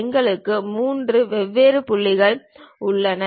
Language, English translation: Tamil, We have 3 different points